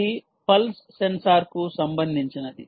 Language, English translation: Telugu, this is related to the pulse sensor